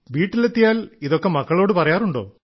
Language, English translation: Malayalam, So, do you come home and tell your children about that